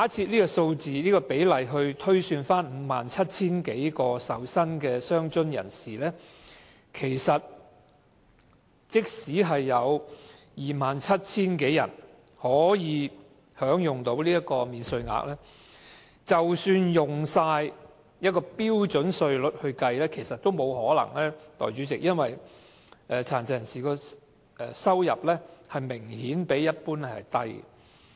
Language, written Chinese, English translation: Cantonese, 如果按照這個比例推算，在 57,000 多名領取傷殘津貼的受薪人士中，便有 27,000 多人可享新增的免稅額，但按標準稅率計算卻不可能有這麼多人，因為殘疾人士的收入明顯較低。, Based on this percentage it is projected that of the 57 000 recipients of disability allowance who are income earners more than 27 000 are eligible for the new allowance . Yet the number will not be so big if we calculate using the standard rate because the income of PWDs is notably lower